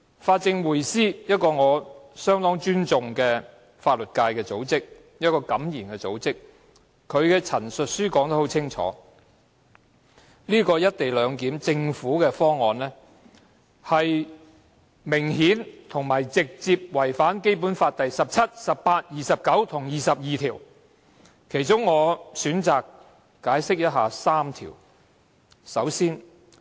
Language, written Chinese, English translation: Cantonese, 法政匯思是一個我非常尊重、敢言的法律界組織，該組織在其陳述書中很清楚指出，政府提出的"一地兩檢"方案明顯並直接違反《基本法》第十七條、第十八條、第二十二條及第二十九條，我選擇就其中3條作出闡釋。, The Progressive Lawyers Group is an outspoken civic group of the legal profession which I very much respect and it points out very clearly in its submission that the co - location arrangement formulated by the Government obviously and directly contravenes Article 17 Article 18 Article 22 and Article 29 of the Basic Law . I will elaborate further on how three of these Articles are contravened